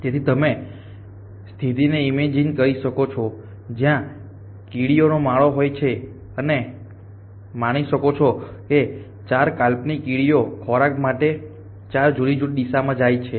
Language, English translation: Gujarati, So you can imaging the situation where there is an ant nest and that is if 4 hypothetical ants go of in 4 different direction in such of a food